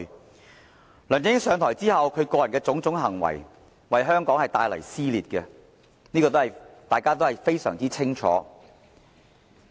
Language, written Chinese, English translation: Cantonese, 自梁振英上台後，其個人的種種行為，皆為香港帶來撕裂，這是大家非常清楚的。, Since LEUNG Chun - ying took office his behaviour and actions have provoked dissensions in Hong Kong . All of us know this full well